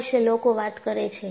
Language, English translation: Gujarati, This is what people talk about it